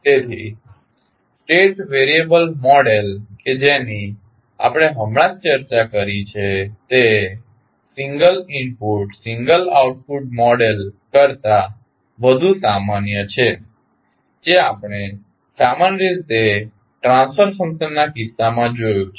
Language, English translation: Gujarati, So therefore, the state variable model which we have just discussed is more general than the single input, single output model which we generally see in case of the transfer function